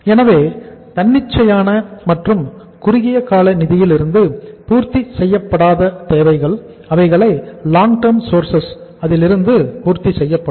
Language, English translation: Tamil, So it means the requirement which is not going to be fulfilled from the spontaneous and short term finance that will be fulfilled from the long term sources of the funds